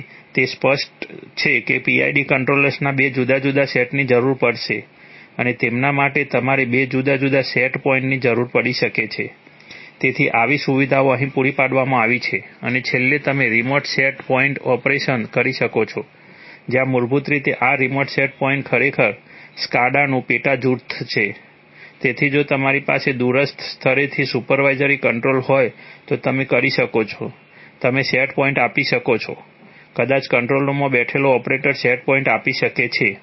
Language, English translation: Gujarati, So it is obvious that two different sets of PID controllers will be required and for them you might need two different set points, so such facilities have been provided here and finally you could have remote set point operation where, basically this remote set point is actually a subset of SCADA so if you have supervisory control from a remote place then you could, you could given give set points maybe the operator sitting in the control room can give set points okay